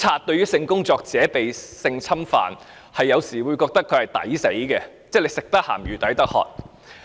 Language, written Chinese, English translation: Cantonese, 對於性工作者被侵犯，警方有時會認為該死，因為"食得鹹魚抵得渴"。, With regard to cases of sex workers being sexually abused police officers are sometimes of the view that this is what they deserve because they must bear the consequences of their own choice